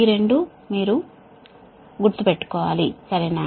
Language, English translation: Telugu, this two should be in your mind, right